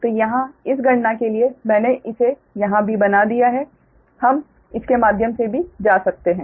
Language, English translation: Hindi, so here also for this calculation i have made it here also, for we can go through this one also, right